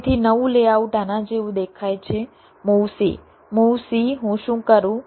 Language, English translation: Gujarati, so new layout looks like this: move c, move c, what i do